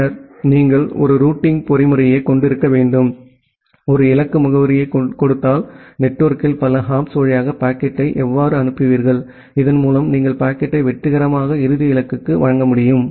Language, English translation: Tamil, And then you need to have one routing mechanism, to decide that given a destination address, how will you forward the packet over the network, over multiple hops so that you can be able to successfully deliver the packet to the final destination